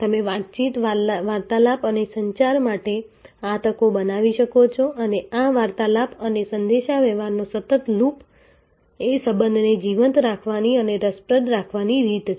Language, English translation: Gujarati, So, you can create these opportunities for conversation, the conversation and communication and a continuing loop of this conversation and communication is the way relationship is kept alive and kept interesting